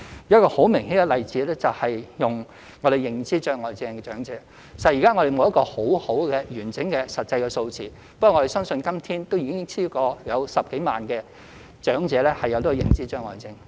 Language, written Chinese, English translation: Cantonese, 一個很明顯的例子是有認知障礙症的長者，實在現時我們沒有一個很好、完整的實際數字，不過我們相信今天已有超過10多萬名長者患有認知障礙症。, The case of elderly persons with dementia is a clear example . Despite the absence of accurate and comprehensive figures it is estimated that there are now more than 100 000 elderly dementia patients in Hong Kong